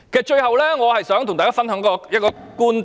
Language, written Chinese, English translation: Cantonese, 最後，我想跟大家分享一個觀點。, Finally I would like to share a viewpoint with Members